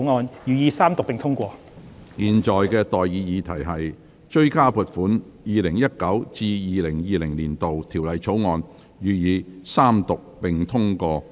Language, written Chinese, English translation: Cantonese, 我現在向各位提出的待議議題是：《2020年性別歧視條例草案》，予以二讀。, I now propose the question to you and that is That the Sex Discrimination Amendment Bill 2020 be read the Second time